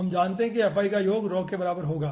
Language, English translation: Hindi, we know that summation of fi will be equivalent to who